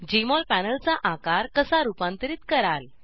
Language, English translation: Marathi, How to: * Modify the size of Jmol panel